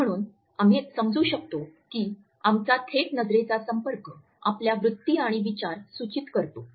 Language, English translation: Marathi, So, we can understand that our direct eye contact signals our attitudes and thoughts